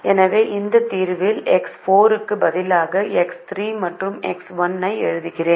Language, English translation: Tamil, so i am writing x three and x one as replaced x four in this solution